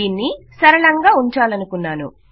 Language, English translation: Telugu, I want to keep it simple